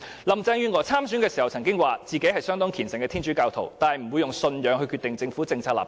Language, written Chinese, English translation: Cantonese, 林鄭月娥在參選時曾經表示，她是相當虔誠的天主教徒，但不會以信仰決定政府的政策立場。, In her election campaign Carrie LAM once avowed that though a devout Catholic she would not allow her religious faith to shape the Governments policy stances